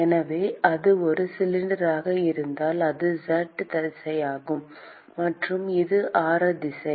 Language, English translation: Tamil, So, if this is a cylinder, that is the z direction; and this is the radial direction